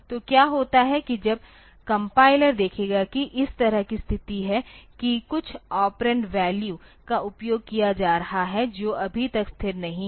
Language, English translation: Hindi, So, what happens is that when the compiler will see that there is a situation like this that some operand value that is being used which is not yet stabilized